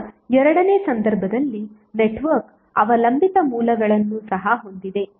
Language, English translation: Kannada, Now in case 2 when the network has dependent sources also